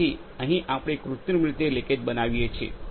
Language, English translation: Gujarati, So, here we artificially create leakage